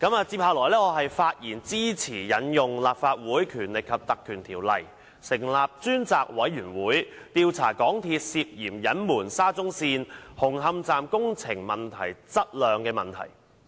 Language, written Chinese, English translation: Cantonese, 接下來，我發言支持引用《立法會條例》，成立專責委員會，調查香港鐵路有限公司涉嫌隱瞞沙中線紅磡站工程質量的問題。, Now I will speak in support of invoking the Legislative Council Ordinance to set up a select committee to inquire into the incident in which the MTR Corporation Limited MTRCL is suspected of concealing a problem concerning the construction quality of Hung Hom Station of the Shatin to Central Link SCL